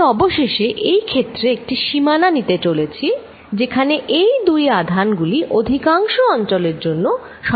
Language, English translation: Bengali, I am finally, going to take the limit in this case, where these two charges will overlap for most of the regions